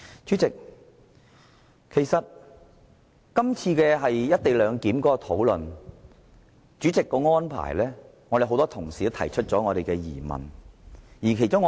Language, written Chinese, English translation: Cantonese, 主席就這次討論有關"一地兩檢"《條例草案》所作的安排，已令很多同事提出疑問。, The arrangements made by the President in connection with the present discussion of this Bill have already aroused doubts from many colleagues